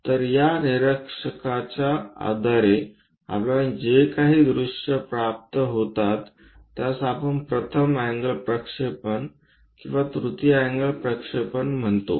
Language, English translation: Marathi, the views whatever we obtain we call that as either first angle projection or the third angle projection